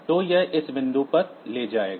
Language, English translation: Hindi, So, it will take it to this point